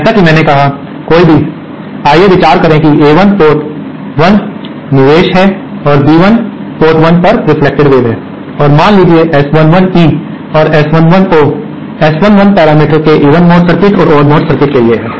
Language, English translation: Hindi, As I said, any, let us consider that A1 is the input at port 1 and B1 is the reflected wave at port 1 and suppose S 11 E and S11 O are the S11 parameters for the even mode circuit and the odd mode circuit